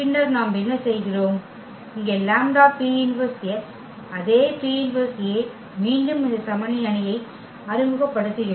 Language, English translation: Tamil, And then what we do, we have here the lambda P inverse x the same, the P inverse A again we have introduced this identity matrix